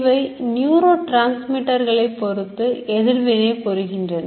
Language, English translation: Tamil, So they will counteract depending on the neurotransmit which is going